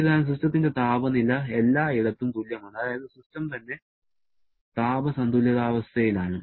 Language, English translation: Malayalam, However, inside the system temperature is same everywhere that is system itself is in thermal equilibrium